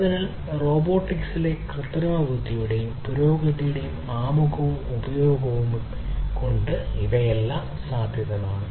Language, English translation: Malayalam, So, all these are possible with the introduction and use of artificial intelligence and advancement in robotics